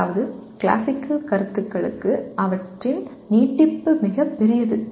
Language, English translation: Tamil, That means their extension is much larger for classical concepts